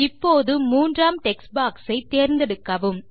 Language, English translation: Tamil, Now, select the third text box